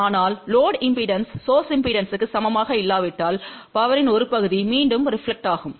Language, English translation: Tamil, But if load impedance is not equal to source impedance, then part of the power will get reflected back